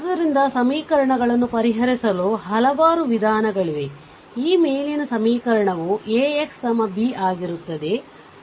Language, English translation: Kannada, So, there are several methods for solving equation your this above equation AX is equal to B